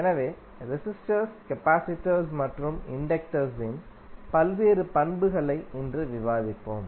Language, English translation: Tamil, So, today we will discuss the various properties of resistors, capacitors, and inductors